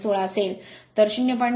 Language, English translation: Marathi, 16, so 0